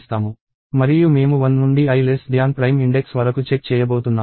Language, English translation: Telugu, And I am going to check from 1 to i less than prime index